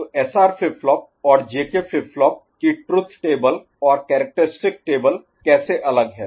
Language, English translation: Hindi, So, how SR flip flop and J K flip flop you know truth table differ or characteristic table differ